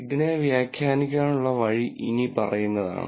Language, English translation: Malayalam, So, the way to interpret this is the following